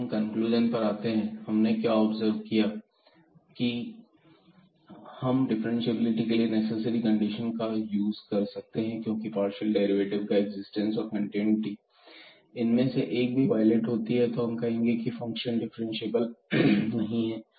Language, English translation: Hindi, So, coming to the conclusion now; so, what we have observed that the investigation of this differentiability we can use the necessary conditions because the continuity and the existence of partial derivative; if one of them is violated then we can prove that the function is not differentiable